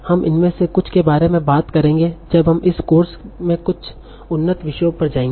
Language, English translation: Hindi, So we will talk about some of these as we will go to some advanced topics in this course